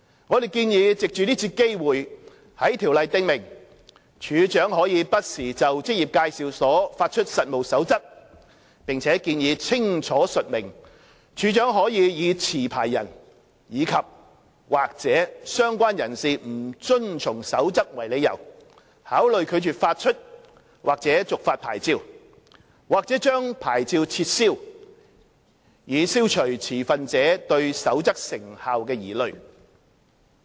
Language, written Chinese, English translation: Cantonese, 我們建議藉這次機會，在《條例》訂明處長可不時就職業介紹所發出實務守則，並建議清楚述明處長可以持牌人及/或相關人士不遵從《守則》為理由，考慮拒絕發出或續發牌照，或將牌照撤銷，以消除持份者對《守則》成效的疑慮。, We propose to take this opportunity to provide in the Ordinance for the Commissioner to issue from time to time codes of practice for EAs and propose to make it clear that non - compliance with the Code by the licensee andor associates will be a ground which the Commissioner may refuse to issue or renew or revoke a licence so as to address the concerns about the effectiveness of the Code